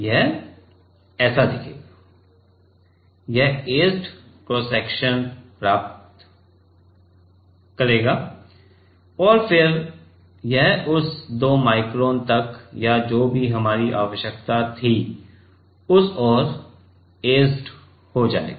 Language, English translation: Hindi, This will look like, this will get etched cross section and then so, this will get etched towards till that 2 micron or whatever was our requirement